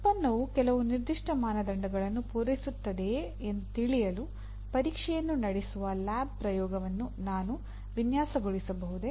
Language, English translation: Kannada, Can I design a lab experiment where the testing is done to whether the product meets the some certain standard